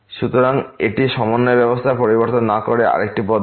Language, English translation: Bengali, So, this is another approach without changing to the coordinate system